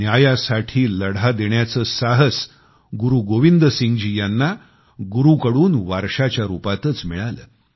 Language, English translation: Marathi, Guru Gobind Singh ji had inherited courage to fight for justice from the legacy of Sikh Gurus